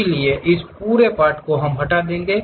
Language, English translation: Hindi, So, this entire portion we will be removing